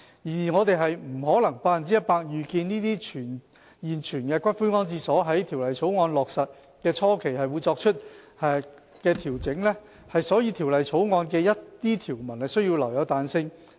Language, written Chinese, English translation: Cantonese, 然而，我們不可能百分百預見這些現存骨灰安置所在《條例草案》落實的初期會作出的調整，所以《條例草案》的一些條文需要留有彈性。, However as we cannot fully foresee the adjustments to be made by the existing columbaria at the initial stage after the passage of the Bill we have to provide flexibility in certain provisions of the Bill